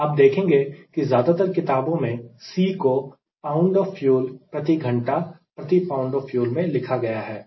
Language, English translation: Hindi, you will find that most of the book c they have expressed in a unit: pound of fuel per hour, per pound of fuel, right